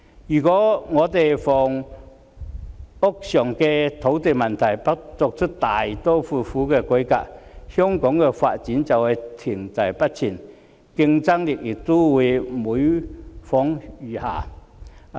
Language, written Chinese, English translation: Cantonese, 如果香港的房屋土地問題不作出大刀闊斧的改革，香港的發展便會停滯不前，競爭力亦會每況愈下。, If no drastic reform is carried out to address the land and housing problems in Hong Kong the development of Hong Kong would remain stagnant and our competitiveness would also shrink over time